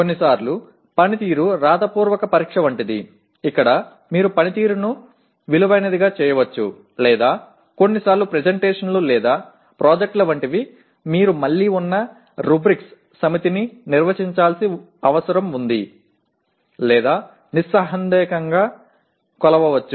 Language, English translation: Telugu, Sometimes the performance is like a written examination where you can value the performance or sometimes like presentations or projects you need to define a set of rubrics which are again are to be or can be unambiguously be measured